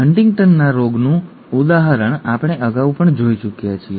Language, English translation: Gujarati, We have already seen an example of Huntington’s disease earlier